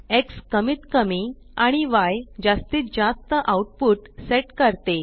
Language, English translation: Marathi, X sets minimum output and Y sets maximum output